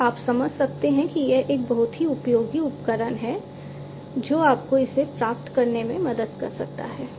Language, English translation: Hindi, So, now you can understand that this is a very useful tool that can help you achieve it